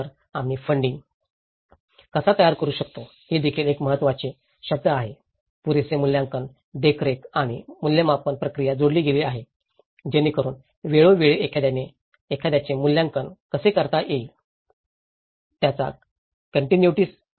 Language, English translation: Marathi, So, how we can generate funding is also important term, having added adequate assessment monitoring and evaluation procedure, so which goes back again to have a continuity cycle of how periodically one can assess this